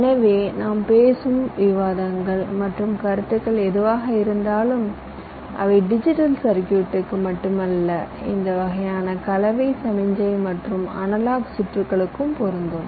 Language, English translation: Tamil, so whatever discussions and concepts we would be talking about, they would apply not only to digital circuits but also to this kind of mix signal and analog circuits as well